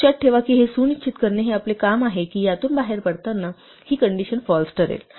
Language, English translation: Marathi, Remember that it is our job to make sure that this while will eventually get out this condition will become false